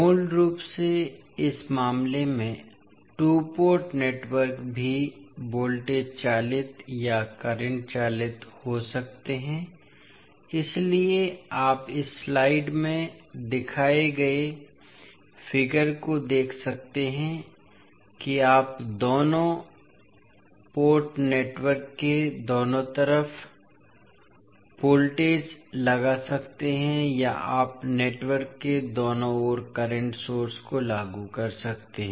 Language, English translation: Hindi, So basically the two port network in this case also can be the voltage driven or current driven, so you can see the figure shown in this slide that you can either apply voltage at both side of the two port network or you can apply current source at both side of the network